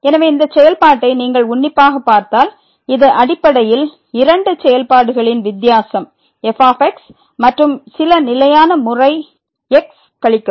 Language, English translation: Tamil, So, if you take a close look at this function it is a basically difference of two functions and minus some constant times